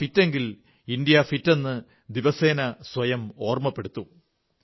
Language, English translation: Malayalam, Remind yourself every day that if we are fit India is fit